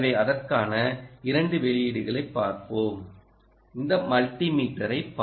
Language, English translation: Tamil, for that, let us look at this multimeter